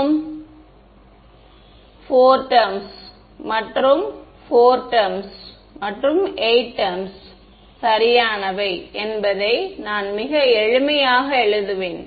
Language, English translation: Tamil, So, I will just I will write down its very simple right there are how many 4 terms and 4 terms 8 terms right